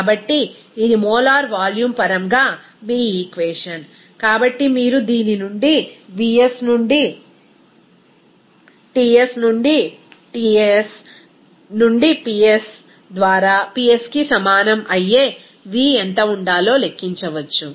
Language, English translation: Telugu, So, this is your equation in terms of molar volume, so from which you can calculate what should be the v that will be equal to vs into T by Ts into Ps by P